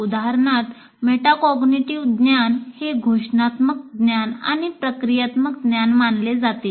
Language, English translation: Marathi, For example, the metacognitive knowledge is considered to be declarative knowledge and procedural knowledge